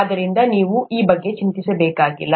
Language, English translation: Kannada, Therefore you don’t have to worry about this